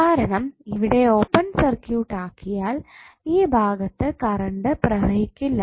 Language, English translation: Malayalam, Because when it is open circuited there would be no current flowing in this particular segment right